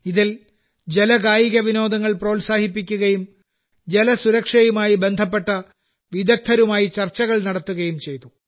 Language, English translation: Malayalam, In that, water sports were also promoted and brainstorming was also done with experts on water security